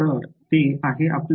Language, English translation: Marathi, So, that is our